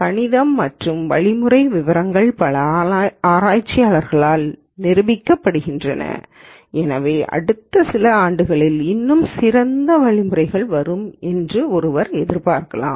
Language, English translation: Tamil, And the math and the algorithmic details are being proved by many researchers, so one would expect even better algorithms to come down in the next few years